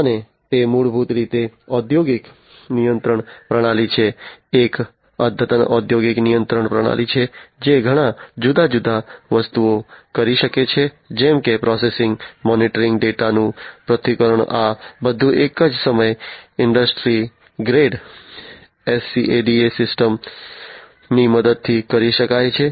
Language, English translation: Gujarati, And it is basically an industrial control system, an advanced industrial control system, which can do many different things such as; processing, monitoring, analyzing data, all at the same time can be done, with the help of industry grade SCADA systems